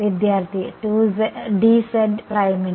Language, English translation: Malayalam, For d z prime